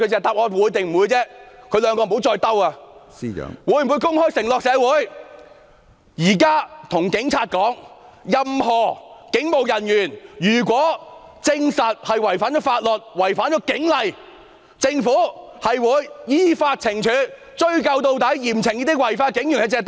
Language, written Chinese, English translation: Cantonese, 他們會否公開對社會作出承諾，現在對警察說，如果證實任何警務人員違反法律或警例，政府會依法懲處，追究到底，嚴懲這些違法的警員？, Will they openly make an undertaking to society and say to the Police now that if any police officers are proved to have broken the law or violated police general orders the Government will mete out punishments in accordance with the law and pursue full responsibility to strictly punish such lawbreaking police officers?